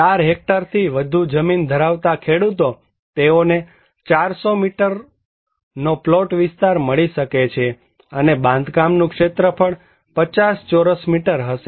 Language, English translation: Gujarati, Farmers with more than 4 hectare land holding, they can get 400 square meters plot area and construction area would be 50 square meters